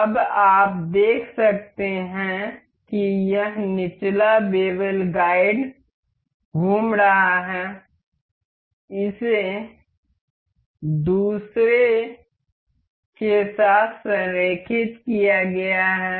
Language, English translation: Hindi, Now, you can see as it this lower bevel guide is rotating, it is aligned with other one